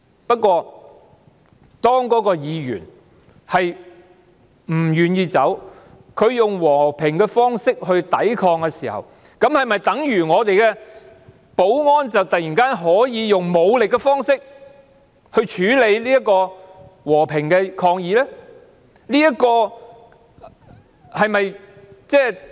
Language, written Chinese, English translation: Cantonese, 不過，當該位議員不願意離開，他以和平方式抵抗時，是否等於我們的保安人員可以用武力方式處理和平的抗議？, Nevertheless when the Member is not willing to leave and resist in a peaceful manner does it mean that our security officers can deal with the peaceful resistance with force?